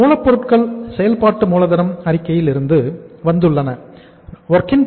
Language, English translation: Tamil, Your raw material has come from the working capital statement